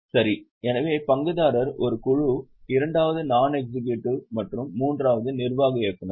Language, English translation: Tamil, So, we have shareholder is one group, second is non executive and third is executive directors